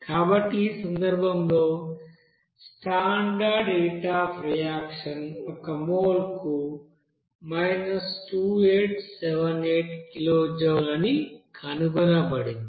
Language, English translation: Telugu, So in that case, the standard heat of reaction is found that 2878 kilojoule per mole